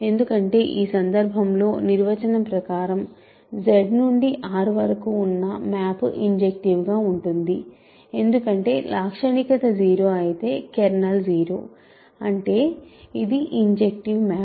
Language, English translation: Telugu, Because, the map from in this case the map from Z to R is injective by definition because, if the characteristic is 0 kernel is 0; that means, it is a injective map